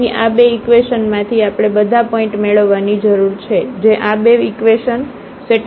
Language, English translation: Gujarati, So, out of these 2 equations we need to get all the points which satisfy these 2 equations